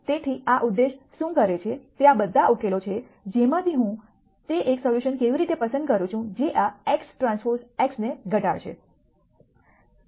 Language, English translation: Gujarati, So, what this objective does is of all of those solutions how do I pick, that one solution which will minimize this x transpose x